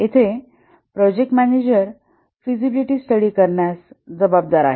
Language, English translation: Marathi, Here the project manager is responsible to carry out the feasibility study